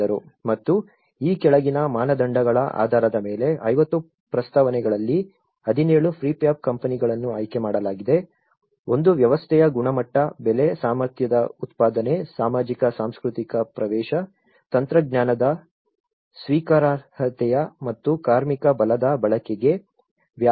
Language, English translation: Kannada, And, this is where about 17 prefab out of 50 proposals 17 prefab companies were selected based on the following criteria, one is the quality of the system, the price, the production of the capacity, socio cultural accessibility, acceptability of the technology and scope for the use of labour force